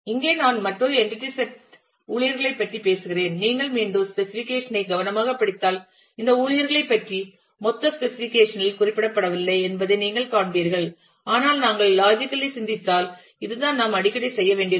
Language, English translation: Tamil, Here, I am talking about another entity sets staff if you again carefully read the specification you will find that there is no mention of this staff in the in the total of the specification, but if we logically think and this is what we often need to do